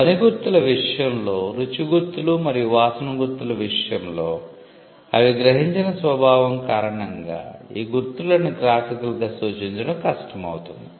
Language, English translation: Telugu, We had seen in the case of sound marks, and in the case of taste marks and smell marks, because of the nature in which they are perceived, it becomes hard to graphically represent these marks